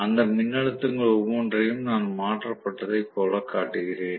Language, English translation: Tamil, The voltages of each of them I am showing it as though they are shifted